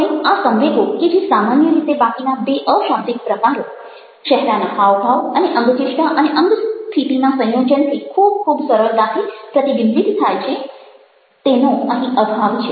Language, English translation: Gujarati, now this emotions, which generally get very easily reflected through the other two non verbal modes facial expressions, postures combined is something which is missing